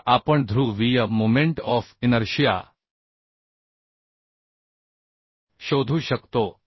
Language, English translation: Marathi, Now we can find out the polar momentum of inertia